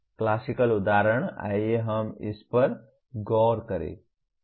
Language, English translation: Hindi, The classical example is let us look at this